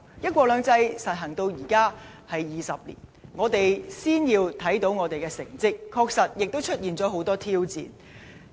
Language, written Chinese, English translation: Cantonese, "一國兩制"實行至今已20年，我們先要看看我們的成績，但亦承認當中確實有了很多挑戰。, One country two systems has been implemented for 20 years . We should first look at our achievements though we also admit that there are many challenges involved